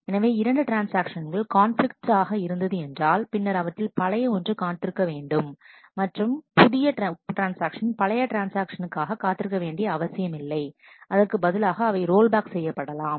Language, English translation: Tamil, So, if two transactions are conflicting then the older one will wait; and the younger transaction will never wait for the older one, they are rolled back instead